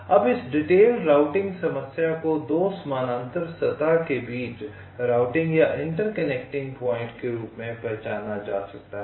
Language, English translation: Hindi, now this detail routing problem can be identified as routing or interconnecting points between two parallel surface